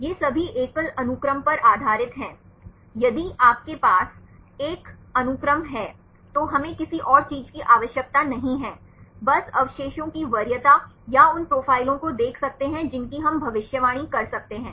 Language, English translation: Hindi, These are all based on single sequence, if you have one sequence we do not need anything else; just see the values the preference of residues or the profiles we can predict